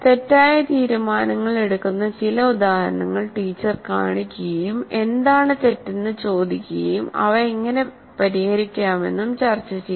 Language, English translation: Malayalam, And then the teacher shows some examples where certain wrong decisions are made and asks what is wrong and how to fix them